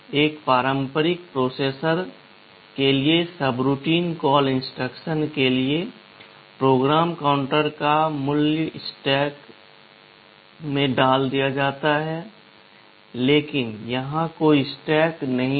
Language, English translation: Hindi, For subroutine call instructions for a conventional processor, the value of PC is pushed in the stack, but here there is no stack